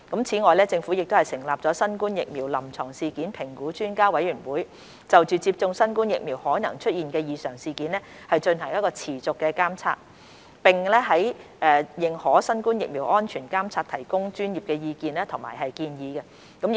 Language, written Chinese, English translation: Cantonese, 此外，政府成立新冠疫苗臨床事件評估專家委員會，就接種新冠疫苗可能出現的異常事件進行持續監察，並在認可新冠疫苗的安全監察提供專業意見和建議。, Furthermore the Government has established the Expert Committee on Clinical Events Assessment Following COVID - 19 Immunisation for the continuous monitoring of AEFIs associated with COVID - 19 vaccination and the provision of expert opinions and advice on the safety monitoring of authorized vaccines